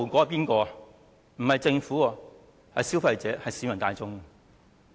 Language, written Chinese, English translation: Cantonese, 不是政府，而是消費者、市民大眾。, It will not be the Government . Consumers and the general public will bear the consequence